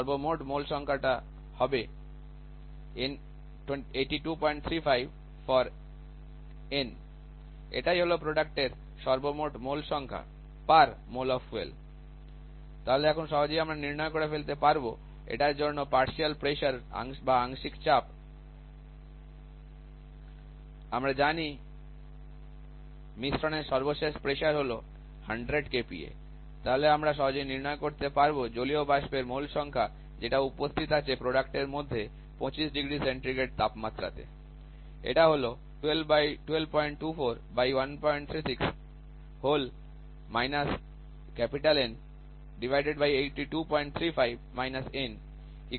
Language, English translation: Bengali, 35 N this is the total number of moles of product or on the product side bar mole of fuel so now we can easily calculate The partial pressure for this has to be as we know that the final pressure of the mixture is 100 kilo Pascal then we can easily calculate the number of moles of hydrogen sorry water vapour present on the product at 25 degree Celsius